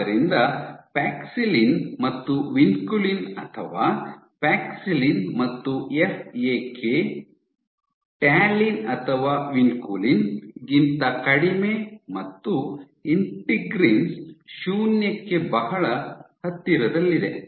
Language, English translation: Kannada, So, paxillin and vinculin are paxillin and FAK are way less than talin or vinculin and lowest very close to zero is integrins